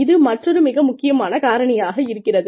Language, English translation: Tamil, Another, very important factor here